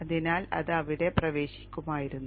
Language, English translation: Malayalam, So that would have got entered in there